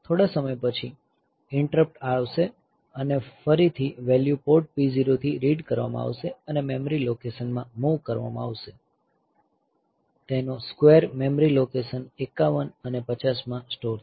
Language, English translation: Gujarati, Again sometime later the interrupt will occur, again the value will be read from port P 0 and moved into the memory location, the square of it will be stored in memory location 51 and 50